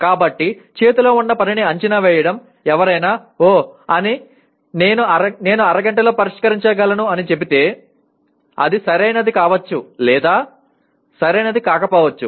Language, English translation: Telugu, So assessing the task at hand, if somebody says, oh I can solve something in half an hour, it maybe right and may not be right